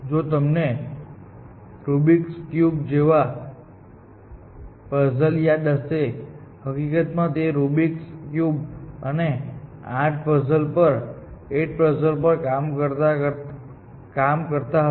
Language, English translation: Gujarati, If you remember the puzzle like Rubics cube, in fact, he was working on Rubics cube and the eight puzzles